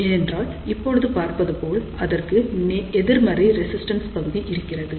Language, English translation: Tamil, So, this region is known as negative resistance region